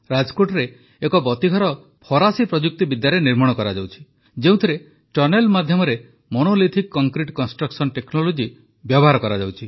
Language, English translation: Odia, In Rajkot, the Light House is being made with French Technology in which through a tunnel Monolithic Concrete construction technology is being used